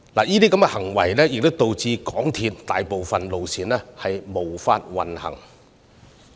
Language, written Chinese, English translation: Cantonese, 有關行為導致大部分鐵路線無法行駛。, Such actions led to service suspension on most railway lines